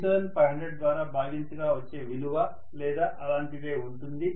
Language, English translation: Telugu, 2 divided by 3500 or something like that that is how what is going to be